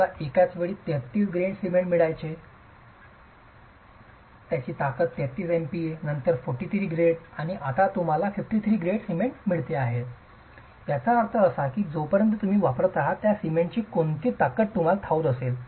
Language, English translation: Marathi, You used to get 33 grade cement at one point of time, 33 MPA being the strength, 43 grade after some time and today you get only 53 grade cement, which means unless you are sure what strength of cement you are going to be using, you really can't be sure about the compressive strength at 28 days